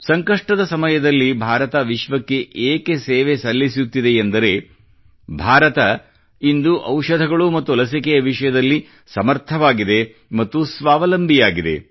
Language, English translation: Kannada, During the moment of crisis, India is able to serve the world today, since she is capable, selfreliant in the field of medicines, vaccines